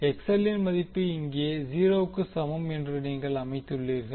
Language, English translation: Tamil, You set the value of XL is equal to 0 here